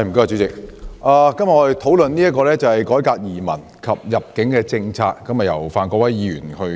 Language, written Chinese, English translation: Cantonese, 主席，我們今天討論由范國威議員提出的"改革移民及入境政策"議案。, President today we discuss the motion on Reforming the immigration and admission policies proposed by Mr Gary FAN